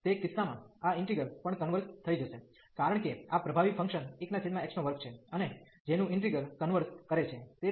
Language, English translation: Gujarati, And in that case this integral will also converge, because this is dominating function 1 over x square and the whose integral converges